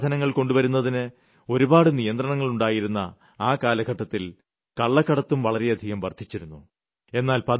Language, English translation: Malayalam, There was a time when there were many restrictions imposed on bringing foreign goods into the country which gave rise to a lot of smuggling